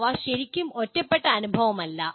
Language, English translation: Malayalam, They are not really isolated experience